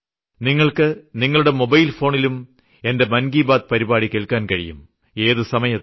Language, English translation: Malayalam, Here is gift from my side, you can listen to my Mann Ki Baat on mobile phone at anytime